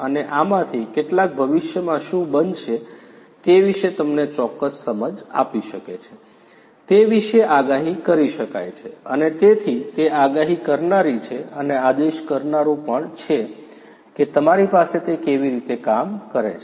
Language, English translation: Gujarati, And some of this could be predictive about you know how this data can give you certain insights about what is going to happen in the future, and so that is the predictive one and also the prescriptive ones that also you have you know how it works